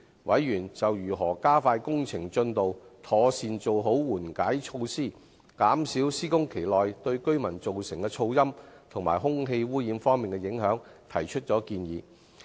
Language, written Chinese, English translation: Cantonese, 委員就如何加快工程進度、妥善做好緩解措施，減少施工期內對居民造成的噪音和空氣污染方面的影響，提出建議。, Members also raised their suggestions on how to speed up the works progress and properly implement mitigation measures to minimize the noise impact and air pollution caused to the nearby residents by the works during the construction period